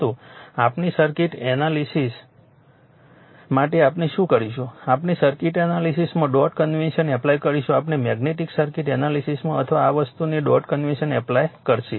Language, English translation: Gujarati, But for our circuit analysis what we will do we will apply the dot convention in circuit analysis, in our magnetic circuit analysis or this thing will apply that dot convention right